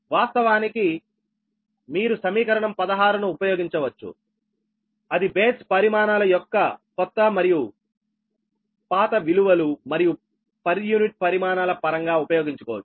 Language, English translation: Telugu, you can use equation sixteen, that in terms of new and old values of the base quantities and the per unit quantities